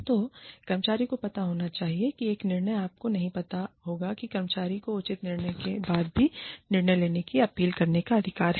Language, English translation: Hindi, So, the employee should know that, one decision will not be, you know, that the employee has a right to appeal the decision, that is taken, even after due investigation